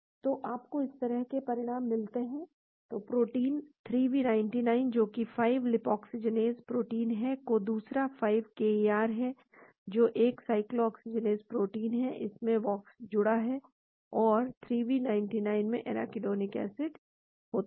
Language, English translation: Hindi, so you get results like this , so the 2 proteins; 3v99 , which is the 5 lipoxygenase protein and the other one is 5 KIR which is a cycloxygenase protein, it has Vioxx bound to it and 3v99 has a arachidonic acid